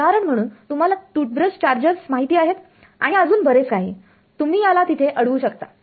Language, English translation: Marathi, So, for example, these you know toothbrush chargers and all, you would block it over there